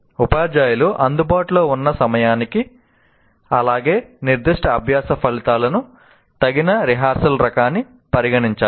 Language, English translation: Telugu, So the teachers need to consider the time available as well as the type of rehearsal appropriate for specific learning outcome